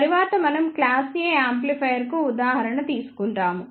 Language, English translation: Telugu, Next we will take an example of class A amplifiers